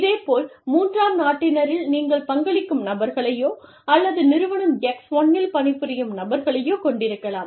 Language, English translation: Tamil, Similarly, in the third country nationals, you could have people, contributing to, or people working in, Firm X1